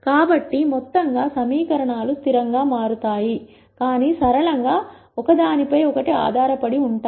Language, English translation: Telugu, So, as a whole the equations become consistent, but linearly dependent on each other